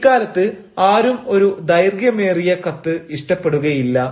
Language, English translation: Malayalam, you know, no one would like a lengthy letter